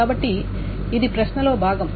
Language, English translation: Telugu, So this is part of the question